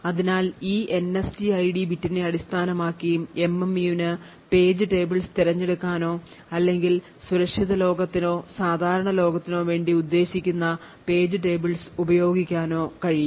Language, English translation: Malayalam, So, based on this NSTID bit the MMU would be able to select page tables or use page tables which are meant for the secure world or the normal world